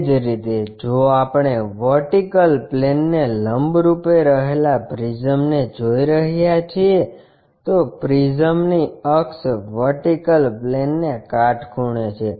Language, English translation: Gujarati, Similarly, if we are looking at a prism perpendicular to vertical plane, so, axis of the prism is perpendicular to vertical plane